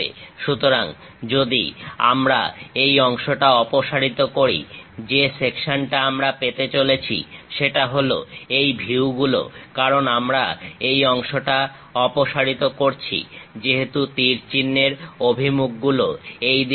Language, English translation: Bengali, So, if we are removing, this part, the section what we are going to get is these views; because we are removing this part, because arrow direction is in this direction